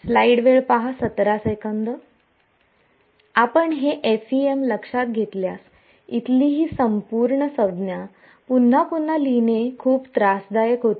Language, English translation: Marathi, This if you notice this FEM this whole term over here becomes very tedious to write again and again